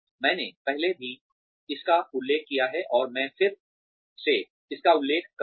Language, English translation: Hindi, I have mentioned this earlier, and I will mention it again